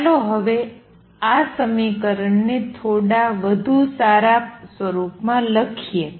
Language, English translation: Gujarati, Lets us write this equation in a slightly better form now